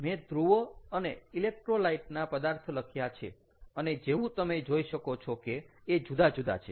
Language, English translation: Gujarati, i have written the electrode materials and the electrolyte and, as you can see that, ah, here they are different